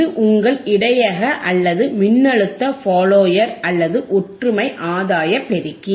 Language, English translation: Tamil, This is your buffer right buffer or, voltage follower or, unity gain amplifier